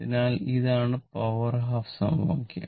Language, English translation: Malayalam, So, to the power half right